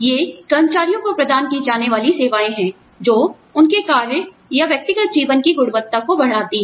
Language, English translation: Hindi, These are services provided to employees, to enhance the quality of their work, or personal lives